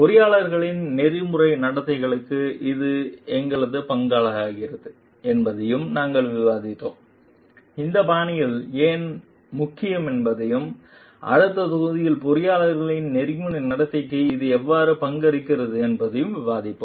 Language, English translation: Tamil, And we will discuss also how this contributes to the ethical conduct for the engineers, we will discuss how why these styles are important and how it contributes to the ethical conduct of engineers in the next module